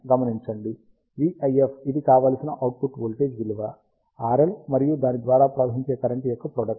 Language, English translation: Telugu, Notice that, v IF which is the desired output voltage is nothing but the product of R L and the current flowing through it